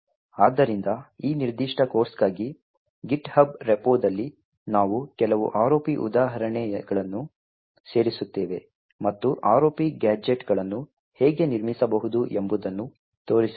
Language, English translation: Kannada, So, in the github repo for this particular course we would be adding some ROP examples and demonstrate how ROP gadgets can be built